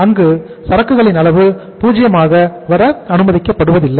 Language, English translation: Tamil, That is also not allowed to come down to 0